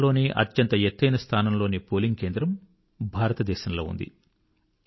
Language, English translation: Telugu, The world's highest located polling station too, is in India